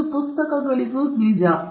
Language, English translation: Kannada, Now, this is also true for books